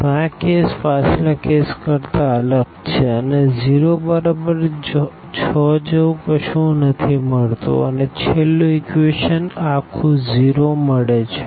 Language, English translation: Gujarati, So, now this is different than the previous case we are not getting anything like 0 is equal to 6 we were getting the last equation is completely 0